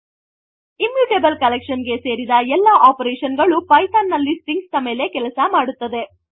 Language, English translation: Kannada, So all the operations that are applicable to any other immutable collection in Python, works on strings as well